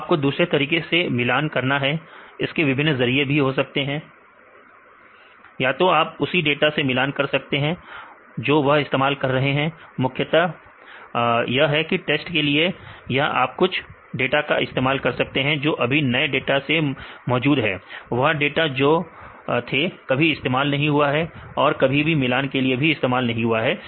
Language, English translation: Hindi, So, you have to compare with other methods different ways to comparison; either you compare with the same data set what they use; mainly for the test or you can select the data which are currently available in newest data; that you never used, they also never used and you compare; common data set